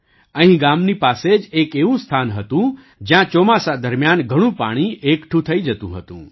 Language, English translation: Gujarati, There was a place near the village where a lot of water used to accumulate during monsoon